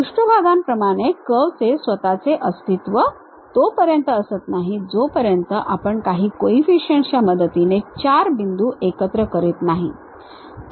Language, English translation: Marathi, As with the surfaces, the curve itself does not exist, until we compute combining these 4 points weighted by some coefficients